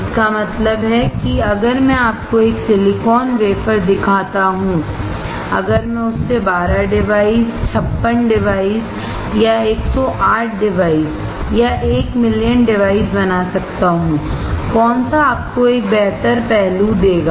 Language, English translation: Hindi, It means that if I show you a silicon wafer if I can make 12 devices or 56 devices or 108 devices one million devices, which will give you a better aspect